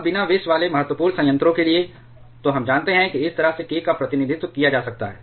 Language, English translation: Hindi, Now, for an un poisoned critical reactor, then we know k can be represented like this